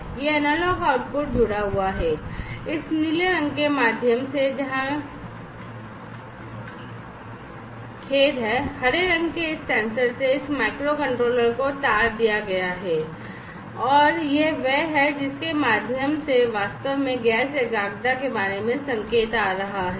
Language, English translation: Hindi, And this analog output is connected, through this blue colored where sorry the green colored wired from this sensor to this microcontroller and this is the one through which actually the signal about the gas concentration is coming